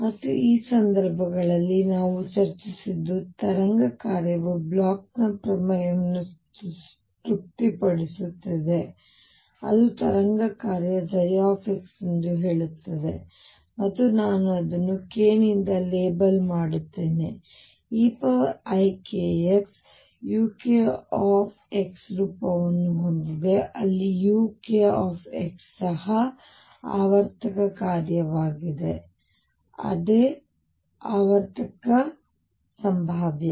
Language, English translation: Kannada, And what we discussed was in these cases the wave function satisfies Bloch’s theorem that says that a wave function psi x and I will label it by k has the form e raised to i k x u k x where u k x is also periodic function, the same periodicity as the potential